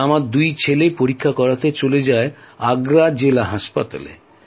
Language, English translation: Bengali, Both sons went to Agra District hospital